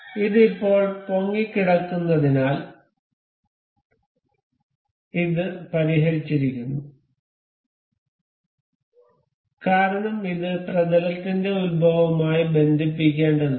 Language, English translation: Malayalam, And now because this is now floating, and this is fixed now because it has to be attached with the origin of the plane